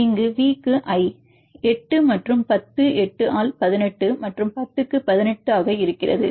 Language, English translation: Tamil, Then you has V to I, 8 and 10, 8 by 18 and 10 by 18